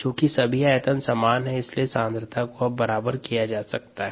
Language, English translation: Hindi, now, since all the volumes are the same, we get equality in concentrations